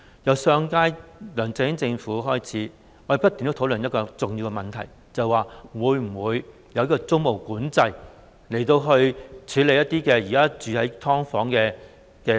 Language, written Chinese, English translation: Cantonese, 自上屆梁振英政府開始，我們已不斷地討論一個重要問題，便是會否實行租務管制，以幫助現時住在"劏房"的市民。, Since the previous - term LEUNG Chun - yings Government we have been conducting continuous discussions on an important issue ie . whether tenancy control should be introduced to help the people who are now living in the subdivided units